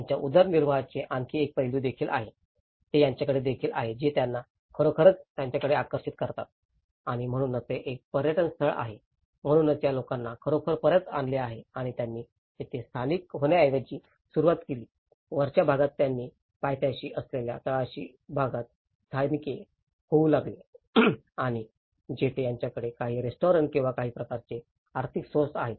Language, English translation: Marathi, There is also the other aspect of their livelihood, which they also have which has actually attracted them back to it and that is why because it is being a tourist spot, so it has actually brought these people back and they started instead of settling in the above areas, they started settling in the bottom part in the foothill area and where they have some restaurants or some kind of economic resources